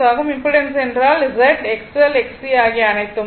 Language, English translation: Tamil, This impedance means Z, X L, X C everything right